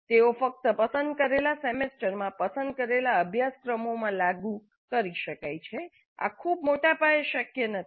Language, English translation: Gujarati, They can be implemented only in selected semesters in selected courses, not on a very large scale